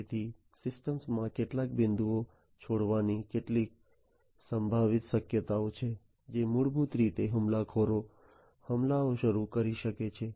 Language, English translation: Gujarati, So, there are some potential possibilities of leaving some points in those systems which through which basically the attackers can launch the attacks